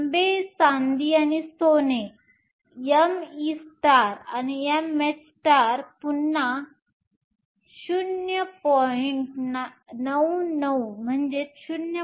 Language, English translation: Marathi, Copper silver and gold m e star over m e silver is again 0